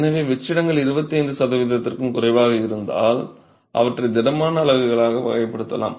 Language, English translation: Tamil, So, it's with this rationale that if the voids are less than 25 percent, you can still classify them as solid units